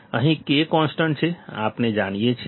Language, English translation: Gujarati, Here K is constant, we know it